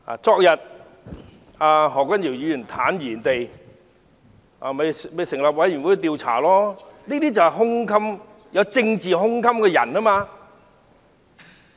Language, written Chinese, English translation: Cantonese, 昨天，何君堯議員坦然地表示，可成立委員會調查他，這就是有政治胸襟了。, Yesterday Dr Junius HO stated confidently that an investigation committee could be set up to investigate him . This is political broad - mindedness